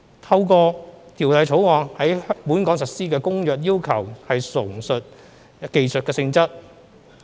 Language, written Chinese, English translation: Cantonese, 透過《條例草案》在本港實施的《公約》要求純屬技術性質。, The requirements of the Convention to be implemented in Hong Kong under the Bill are purely technical in nature